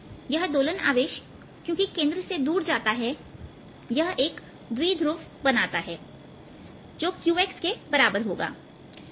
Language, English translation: Hindi, oscillating charge, since this move away from the centre, also make a typo which is equal to q, x